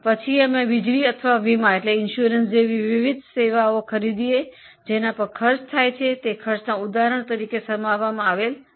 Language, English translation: Gujarati, Then we buy various services like electricity or like insurance on which the costs are incurred